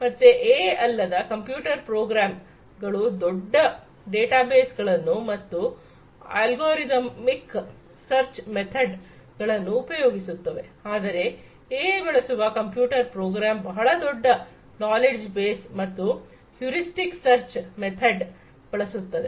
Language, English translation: Kannada, So, a computer program without AI uses large databases and uses algorithmic search method whereas, a computer program with AI uses large knowledge base and heuristic search method